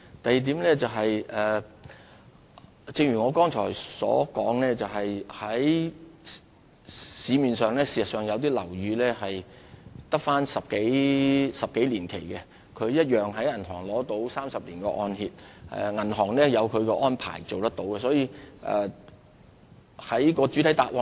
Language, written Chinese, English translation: Cantonese, 第二點是，正如我剛才所說，市面上有些樓宇距離土地契約期滿只餘10多年，但依然獲銀行提供30年按揭，銀行自有其安排，是可以做得到的。, The second point is just as I have said although some land leases in the market are only 10 - odd years away from expiry they can still obtain 30 - year mortgage loans from banks which considered the loans viable under their arrangement